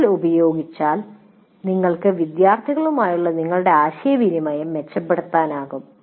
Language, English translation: Malayalam, The more you can use, the more you can improve your interaction with the students